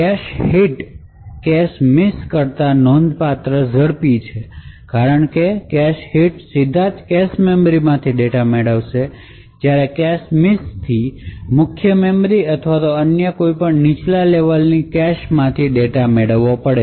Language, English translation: Gujarati, So a cache hit is considerably faster than a cache miss and the reason being that the cache hit fetches data straight from the cache memory while a cache miss would have to fetch data from the main memory or any other lower cache that may be present